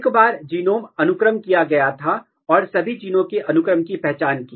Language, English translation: Hindi, Once the genome was sequenced, we identified the genes, we identified the sequence of all the genes